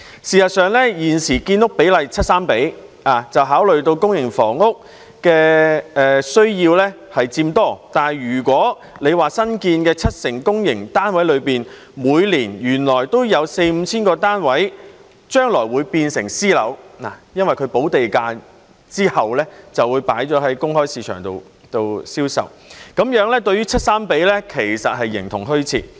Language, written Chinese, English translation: Cantonese, 事實上，現時的建屋比例為 7：3， 是考慮到公營房屋的需要佔多，但如果新建的七成公營單位中，原來每年都有四五千個單位將來會變成私樓，因為補地價之後便會在公開市場上銷售，這樣 7：3 的比例其實是形同虛設。, As a matter of fact the public - private housing split is currently set at 7col3 after taking into account the greater demand for public housing . Yet if it turns out that 4 000 to 5 000 units among the 70 % of public housing units newly built would become private housing units every year since they will be sold in the open market after a premium has been paid then the ratio of 7col3 would virtually exist in name only